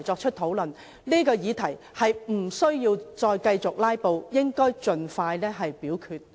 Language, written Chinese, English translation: Cantonese, 議員無須在這個議題上繼續"拉布"，應盡快表決。, Instead of filibustering on this subject Members should expeditiously proceed to vote